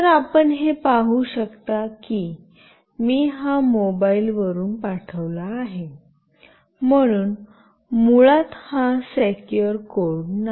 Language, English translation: Marathi, So, you can see that I have sent it from this mobile, so this is not the secure code basically